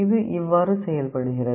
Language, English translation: Tamil, This is how it works